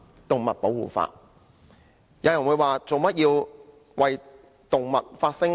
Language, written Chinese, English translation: Cantonese, 有人會問為何要為動物發聲？, Some people may ask why we have to speak for animals